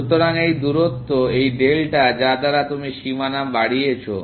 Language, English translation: Bengali, So, this distance, this is delta that you have increased the boundary by